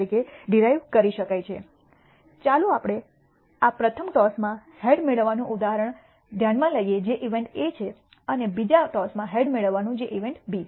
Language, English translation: Gujarati, Let us consider this example of receiving a head in the first toss which is event A and receiving a head in the second toss which is event B